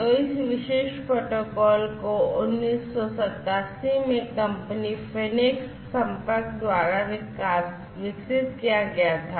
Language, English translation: Hindi, So, this particular protocol was developed in 1987 by the company phoenix contact